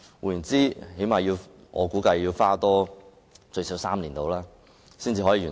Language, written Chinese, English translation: Cantonese, 據我估計，整個計劃要多花最少3年時間才可完成。, According to my estimate the entire scheme will take at least three more years before it is completed